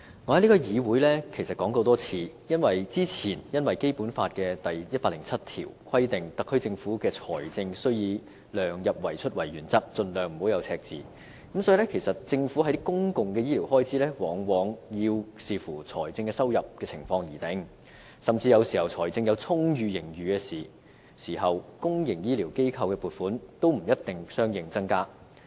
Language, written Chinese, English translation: Cantonese, 我在這個議會其實說過很多次，由於《基本法》第一百零七條規定特區政府的財政預算以量入為出為原則，盡量避免赤字，所以政府的公共醫療開支往往要視乎財政收入的情況而定，甚至有時候財政有充裕盈餘時，對公營醫療機構的撥款也不一定相應增加。, As I have actually said many times in this Council given that Article 107 of the Basic Law requires the Government of the Hong Kong Special Administrative Region to follow the principle of keeping expenditure within the limits of revenue in drawing up the budget and to avoid deficits by all means the public health care expenditure of the Government is often subject to the public revenue position and even in times of an abundant fiscal surplus the funding for the public health care sector may not necessarily increase accordingly